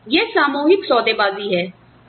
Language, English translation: Hindi, So, it is collective bargaining